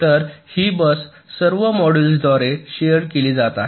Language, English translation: Marathi, so this bus is being shared by all the modules